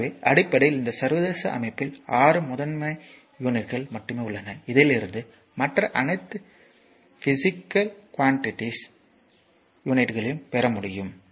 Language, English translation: Tamil, So, basically in this international system there are 6 principal units basically 6 only 6 principal unit, we need from which the units of all other physical quantities can be obtain right